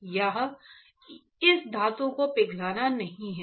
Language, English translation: Hindi, Here to melt this metal is not it